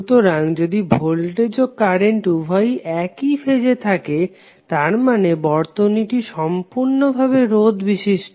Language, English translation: Bengali, So if both voltage and current are in phase that means that the circuit is purely resistive